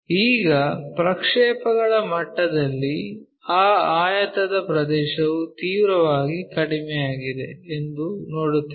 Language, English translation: Kannada, Now, at projection level if you are seeing that it looks like the area of that rectangle is drastically reduced